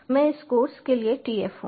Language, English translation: Hindi, i am the tf for this course